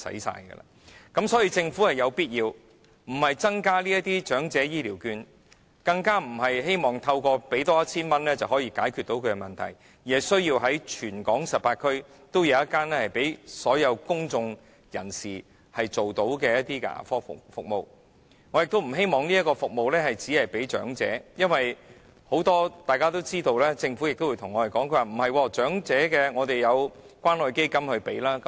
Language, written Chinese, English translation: Cantonese, 所以，政府有必要做的，不是增加長者醫療券，更不是希望透過再增加 1,000 元，便可解決他們的問題，而是須在全港18區每區也設置1間可供所有公眾人士使用的牙科診所，我亦不希望這項服務只提供予長者，因為大家也知道，而政府亦會對我們說，長者有關愛基金的資助。, Therefore what the Government needs to do is not increasing the amount of Elderly Healthcare Vouchers and still less should it hope that by providing an additional 1,000 their problems can be solved . Rather it is necessary to establish a dental clinic serving all members of the public in each of the 18 districts in Hong Kong . I also hope that this service will be provided not just to the elderly because as we all know and the Government will also tell us that elderly people can be subsidized by the Community Care Fund